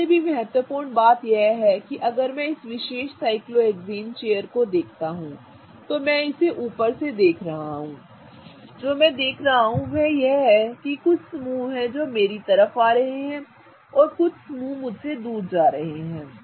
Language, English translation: Hindi, More importantly if I look at this particular cyclohexane chair such that I am looking at it from the top what I see is that there are a couple of groups that are coming towards me and a couple of groups are going away from me